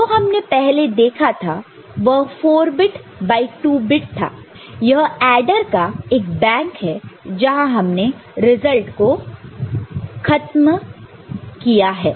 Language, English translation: Hindi, So, we have seen before it was 4 bit by 2 bit this is the bank of adder where we had ended the result